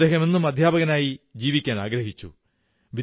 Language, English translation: Malayalam, He preferred to live a teacher's life